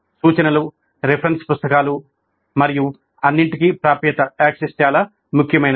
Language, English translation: Telugu, Access to references, reference books and all, that is also very important